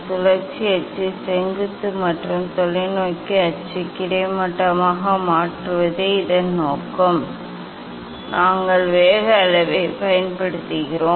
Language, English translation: Tamil, Purpose is to make rotational axis vertical and telescope axis horizontal for this for this we use the; we use the speed level; we use the speed level